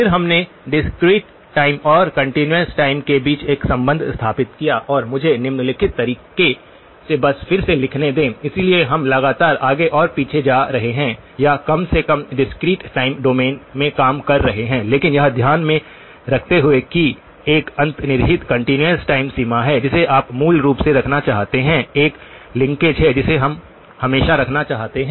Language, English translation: Hindi, Then, we also established a relationship between discrete time and continuous time and let me just rewrite that in the following way, so we are constantly going to be going back and forth or at least working in the discrete time domain but keeping in mind that there is an underlying continuous time framework which you want to keep so basically, there is a linkage that we always want to keep